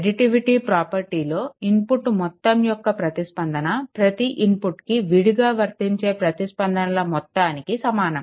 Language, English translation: Telugu, So, additivity property is it requires that the response to a sum of inputs to the sum of the responses to each inputs applied separately